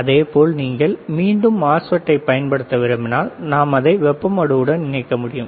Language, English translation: Tamil, Similarly, but if you want to use the MOSFET again, we can connect it to heat sink